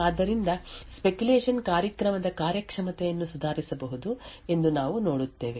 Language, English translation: Kannada, So, what we see is that the speculation could possibly improve the performance of the program